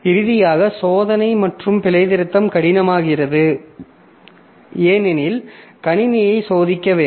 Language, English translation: Tamil, And finally, the testing and debugging becomes difficult because you need to test the system